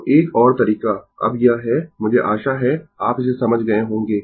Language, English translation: Hindi, So, another way, now this is I hope you have understood this